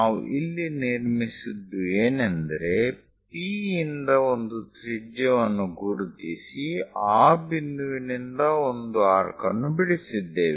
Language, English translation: Kannada, So, what we have constructed is, from P mark some radius, once radius is there from that point mark an arc